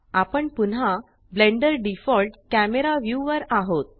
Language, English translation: Marathi, We are back to Blenders default view